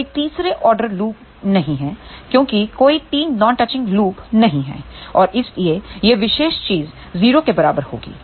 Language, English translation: Hindi, There is no third order loop because there are no 3 non touching loops and hence, this particular thing will be equal to 0